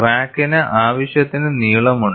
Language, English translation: Malayalam, The crack is sufficiently long